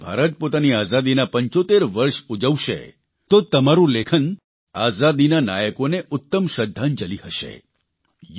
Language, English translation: Gujarati, Now, as India will celebrate 75 years of her freedom, your writings will be the best tribute to those heroes of our freedom